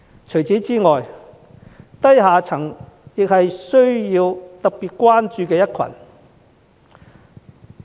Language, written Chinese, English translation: Cantonese, 此外，低下層也是特別需要關注的一群。, Furthermore special attention should also be given to the lower class